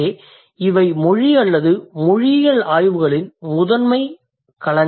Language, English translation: Tamil, So, these are the primary or these are the major domains of language or linguistic studies